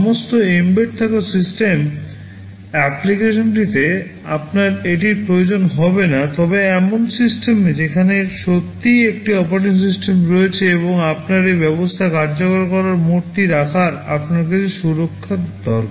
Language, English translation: Bengali, In all embedded system application you will not require this, but in system where there is really an operating system and you need some protection you need to have this mode of execution